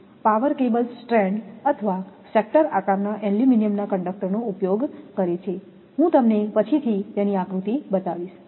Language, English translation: Gujarati, Power cables use stranded or sector shaped aluminum conductors I will show you the diagram later